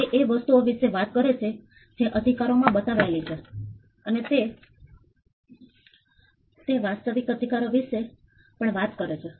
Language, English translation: Gujarati, It talks about the things on which the rights are manifested, and it also talks about the actual rights